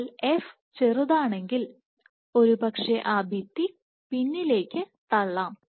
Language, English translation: Malayalam, But if f is small then probably that wall can be pushed back